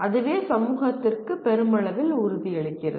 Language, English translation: Tamil, That is what it assures the society at large